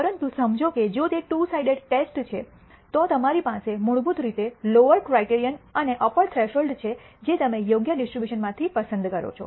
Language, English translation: Gujarati, But realize that if it is a two sided test you basically have a lower criterion threshold and the upper threshold which you select from the appropriate distribution